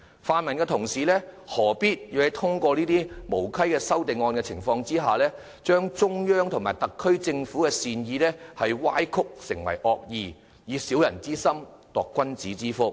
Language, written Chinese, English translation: Cantonese, 泛民同事何必利用這些無稽的修正案，把中央和特區政府的善意歪曲為惡意，以小人之心度君子之腹？, Why must Honourable colleagues from the pro - democracy camp use these nonsensical amendments to twist the goodwill of the Central Government and the SAR Government into malice gauging the heart of people of integrity with their own mean measure?